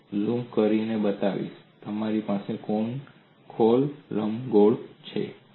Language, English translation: Gujarati, I will also zoom in and show you have confocal ellipses